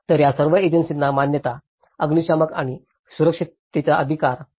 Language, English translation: Marathi, So, all these agencies has to approve, fire and safety right